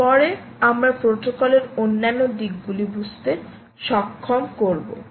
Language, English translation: Bengali, go on to understand other aspects of the protocol